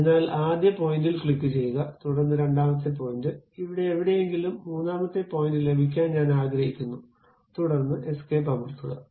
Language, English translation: Malayalam, So, click first point, then second point, I would like to have third point here somewhere here, then press escape